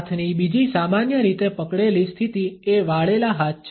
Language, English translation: Gujarati, Another commonly held position of hands is that of folded hands